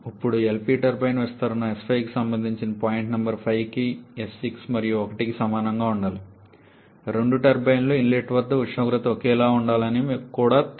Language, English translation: Telugu, Now corresponding to the LP turbine expansion S 5 should be equal to S 6 and 1 for point number 5 you also know that the temperature at the inlet to both the turbines to be identical